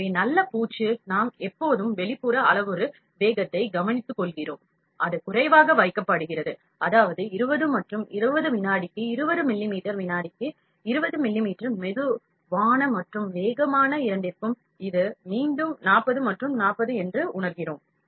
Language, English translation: Tamil, So, good finish we always take care of the outer parameter speed, that is kept lower, that is 20 and 20, 20 millimeters per second 20 millimeters per second for slow and fast both, for feeling it is 40 and 40 again